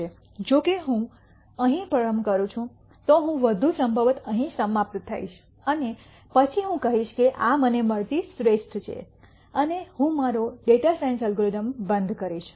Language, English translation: Gujarati, However, if I start here then I would more likely end up here and then I will say this is the best I get and I will stop my data science algorithm